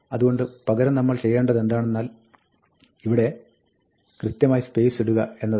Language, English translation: Malayalam, So, what we do instead is, we put the space explicitly here